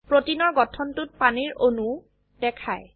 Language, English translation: Assamese, The protein structure is also shown with water molecules